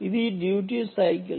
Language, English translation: Telugu, what about duty cycling